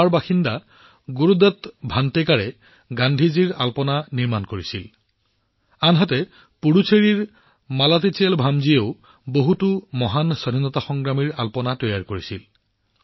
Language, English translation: Assamese, Gurudutt Vantekar, a resident of Goa, made a Rangoli on Gandhiji, while Malathiselvam ji of Puducherry also focused on many great freedom fighters